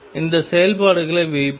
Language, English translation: Tamil, Let us put those functions n